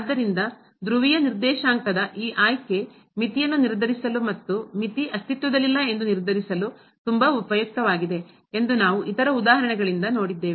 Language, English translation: Kannada, So, we have seen other examples also that this choosing to polar coordinate is very useful for determining the limit as well as for determining that the limit does not exist